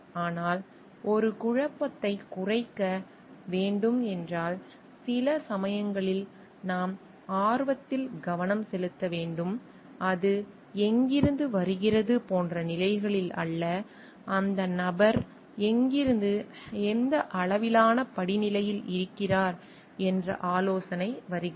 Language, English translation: Tamil, But if a conflict needs to be reduced, then sometimes we need to focus on the interest and not on the positions like from where it is coming the suggestion is coming from where and at what level of hierarchy that the person is in